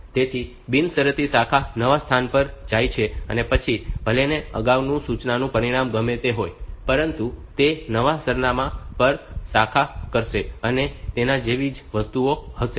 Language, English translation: Gujarati, So, unconditional branch is go to a new location no matter what like whatever was the outcome of the previous instruction, it will branch to the new address, and things like that